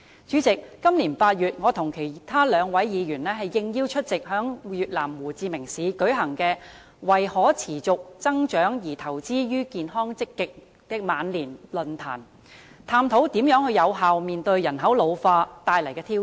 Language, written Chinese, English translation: Cantonese, 主席，今年8月，我和兩位議員應邀出席在越南胡志明市舉行題為"為可持續增長而投資於健康積極的晚年"的論壇，探討如何有效面對人口老化帶來的挑戰。, President in August this year two Members and I attended upon invitation a forum on Investing in Healthy and Active Ageing for Sustainable Growth in Ho Chi Minh City Vietnam exploring how to effectively tackle the challenges brought forth by population ageing